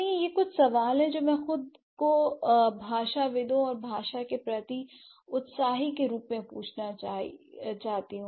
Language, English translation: Hindi, So, these are a few questions that we should ask to ourselves as linguists and language enthusiast